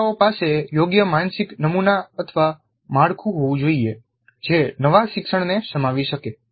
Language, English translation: Gujarati, And the learners must have a correct mental model, a structure which can accommodate the new learning